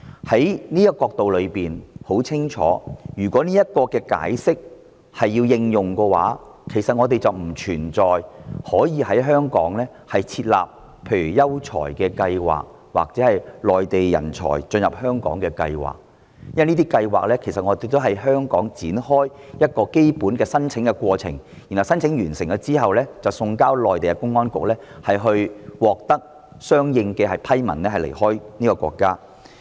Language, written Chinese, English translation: Cantonese, 從這個角度看來，有一點很清楚，就是如果按照這個解釋，我們便不可以在香港設立各項人才入境計劃，因為這些計劃的基本申請過程均是在香港展開，相關申請過程完成後，有關資料便會送交內地公安局，當申請人獲得相應批文後，便可離開內地。, From this angle one point is very clear and that is in accordance with this interpretation we cannot introduce various talent admission schemes in Hong Kong . It is because the basic application procedures of these schemes commence in Hong Kong . Upon completion of the application procedures the relevant data will be sent to the public security bureaux concerned on the Mainland and the applicant can leave the Mainland after receipt of the approval document